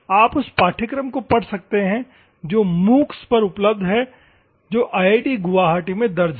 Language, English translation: Hindi, You can go through that course it is available on MOOCS which is recorded at IIT Guwahati